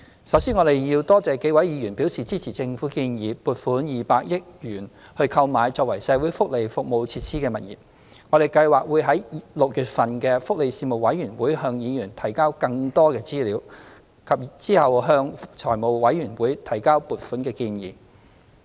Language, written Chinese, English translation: Cantonese, 首先，我多謝數位議員表示支持政府建議撥款200億元購買作為社會福利服務設施的物業，我們計劃於6月份的福利事務委員會會議向議員提交更多資料，並稍後向財務委員會提交撥款建議。, First I thank the several Members who have expressed support for the Governments proposal of allocating 200 million to the purchase of premises for welfare facilities . We plan to submit more information to Members at the meeting of the Panel on Welfare Services in June and present the funding application to the Finance Committee later